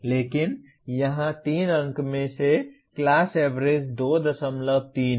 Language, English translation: Hindi, But here out of 3 marks the class average is 2